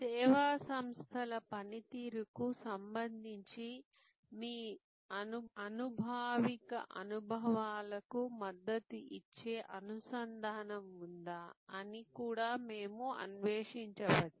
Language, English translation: Telugu, And we may also explore that whether there is a linkage that is supported by your empirical experiences with respect to the service organizations performance